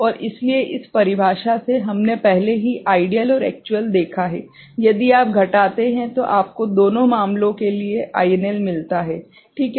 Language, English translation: Hindi, And so from this definition, we have already seen the ideal and actual, if you subtract, you get the INL for both the cases ok